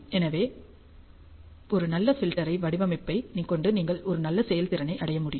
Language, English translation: Tamil, So, with a good filter design you can achieve a very good performance